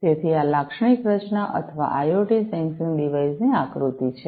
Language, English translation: Gujarati, So, this is the typical structure or the block diagram of an IoT sensing device